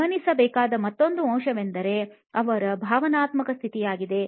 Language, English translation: Kannada, Another element to notice is their emotional status